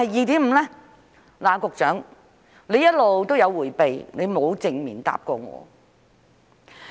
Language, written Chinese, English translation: Cantonese, 局長一直在迴避，沒有正面回答過我。, The Secretary has been evasive and has not answered my question directly